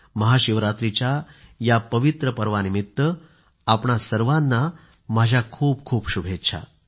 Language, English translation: Marathi, I extend felicitations on this pious occasion of Mahashivratri to you all